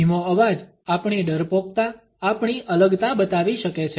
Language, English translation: Gujarati, A slow voice can show our timidity our diffidence